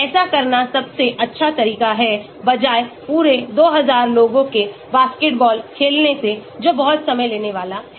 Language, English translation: Hindi, that is the best way to do instead of making entire 2000 people to play a basketball which is going to be very time consuming